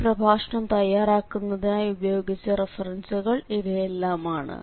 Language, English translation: Malayalam, And now these are the references we have used for preparing this lecture